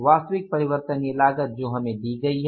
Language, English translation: Hindi, Total variable cost is how much